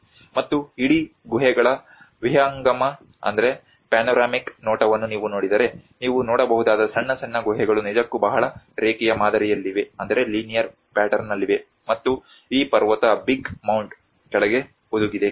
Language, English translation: Kannada, \ \ \ And if you look at the panoramic view of the whole caves, what you can see is small small caves which are actually located in a very linear pattern and has been embedded under this mountain Big Mound which has been covered